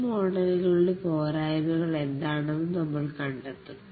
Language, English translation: Malayalam, We will find out what are the shortcomings of these models